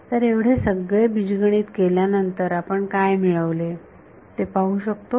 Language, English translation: Marathi, So, after doing all of this algebra can, what have we gained